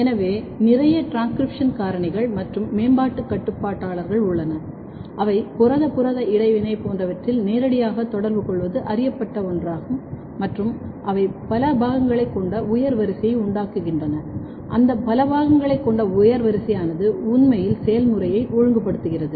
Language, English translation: Tamil, So, there are lot of transcription factor, lot of developmental regulators they are known to interact directly protein protein interaction and they can make higher order complex and that complex is actually regulating the process